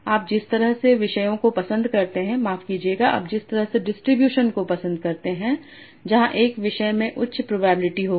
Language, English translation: Hindi, You will tend to prefer topics with where, sorry, you will tend to prefer distributions where one topic will have a higher probability